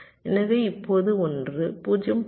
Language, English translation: Tamil, the rest will be zeroes